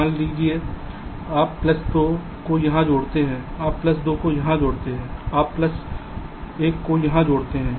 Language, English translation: Hindi, let say you add plus two here, you add plus two here, you add plus one here